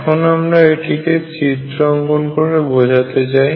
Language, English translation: Bengali, Let me explain this by making pictures